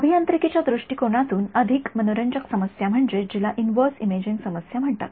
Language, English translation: Marathi, From an engineering point of view, the more interesting problem is what is called the inverse problem